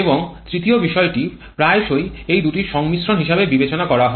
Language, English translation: Bengali, And the third factor quite often considered is a combination of these 2